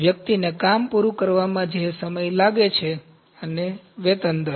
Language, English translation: Gujarati, The time that it takes for the person to complete the job, and the wage rate